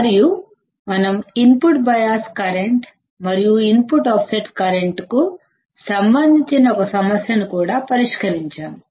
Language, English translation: Telugu, And we have also solved one problem related to the input bias current and input offset current